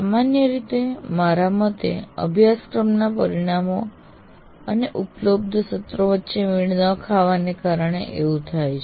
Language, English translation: Gujarati, So one is mismatch between the course outcomes and the available sessions